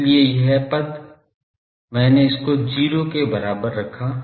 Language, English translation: Hindi, Also So, this term I have put that this is 0